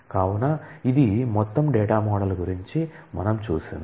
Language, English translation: Telugu, So, this is a overall set of data model